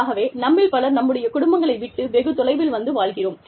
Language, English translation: Tamil, So, many of us are living, far away from our families